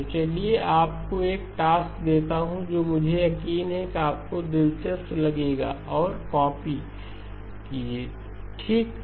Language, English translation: Hindi, So let me give you a task, which I am sure you will find interesting and copy okay